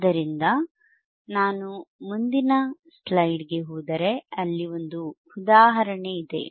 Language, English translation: Kannada, So, if I go on the next slide, then you have an example to solve